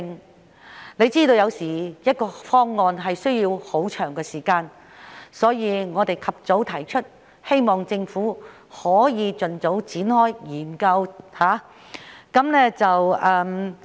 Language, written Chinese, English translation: Cantonese, 大家也知道，有時一個方案需時甚久，故此我們及早提出，希望政府可以盡早展開研究。, As we all know sometimes a proposal takes long time before implementation . So we want to put it forward as early as possible so that the Government can expeditiously commence the relevant study